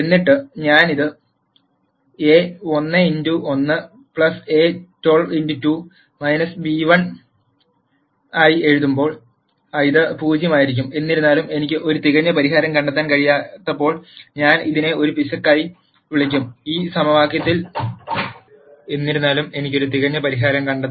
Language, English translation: Malayalam, Then when I write this as a 1 1 x 1 plus a 1 2 x 2 minus b 1, this will be equal to 0; however, when I cannot find a perfect solution then let me call this as an error